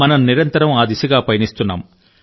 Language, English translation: Telugu, we are ceaselessly taking steps in that direction